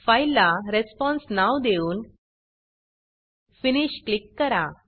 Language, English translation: Marathi, Name the file as response, and click on Finish